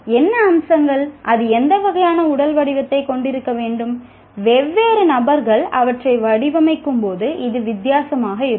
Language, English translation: Tamil, What features, what kind of physical shape it should have, this can be different when different people design them